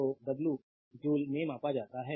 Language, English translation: Hindi, So, the w is measured in joule right